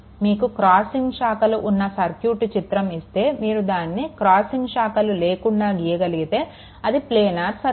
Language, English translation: Telugu, Suppose diagram is given it is crossing branches, but you can if you can redraw such that there is no crossing branches, then circuit may be planar right